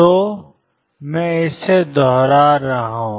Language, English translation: Hindi, So, are; I am repeating this